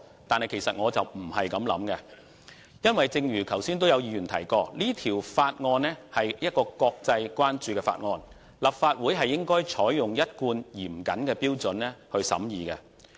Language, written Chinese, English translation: Cantonese, 但是，其實我並非這樣想，因為正如剛才有議員所說，《條例草案》受國際關注，立法會應採用一貫嚴謹的標準來審議。, This is however not what I thought . For the Bill is a matter of international concern as some Honourable colleagues have pointed out just now and should be scrutinized by the Legislative Council with its consistent standard of stringency